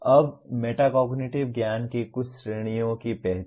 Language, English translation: Hindi, Now some of the categories of metacognitive knowledge